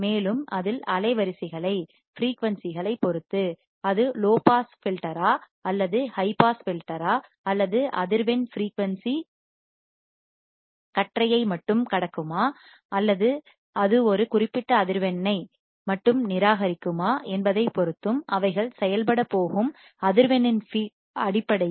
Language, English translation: Tamil, And also based on the frequency they are going to operating at whether it is a low pass filter, whether it is a high pass filter, whether it will only pass the band of frequency, whether it will only reject a particular frequency, so depending on that we name the filters as well